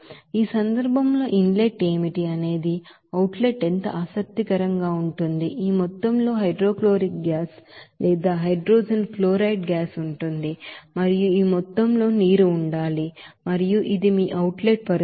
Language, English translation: Telugu, Now, in this case what will be the inlet what will be the outlet very interesting that this amount of hydrochloric gas or hydrogen chloride gas it will be in and this amount of water to be in and this is your outlet condition